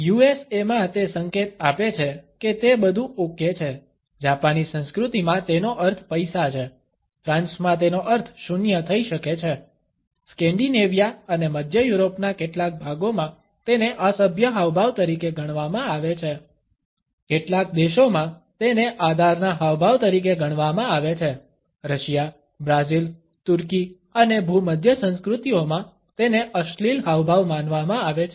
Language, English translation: Gujarati, In the USA, it signals that everything is ‘okay’, in Japanese culture it means ‘money’, in France it may mean ‘zero’, in Scandinavia and certain parts of Central Europe it is considered as a vulgar gesture, in some countries it is considered to be a root gesture, in Russia, Brazil, Turkey and the Mediterranean cultures, it is considered to be an obscene gesture